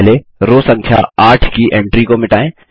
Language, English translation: Hindi, First, lets delete the entry in row number 8